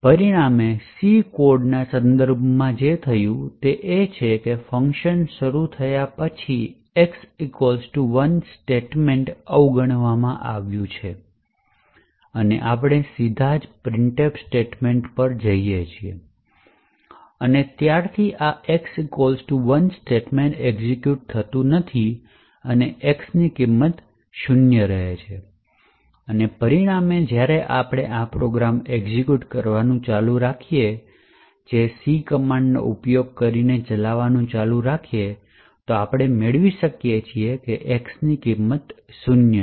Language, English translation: Gujarati, As a result what is happening with respect to the C code is that after a function is invoked the x equal to 1 statement is getting skipped and we are directly going to the printf statement and since this x equal to 1 statement is not being executed the value of x continues to be zero and as a result when we actually continue the execution of this program using the C command which stands for continue to execute, then we get that the value of x is zero